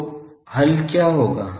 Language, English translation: Hindi, So, what will be the solution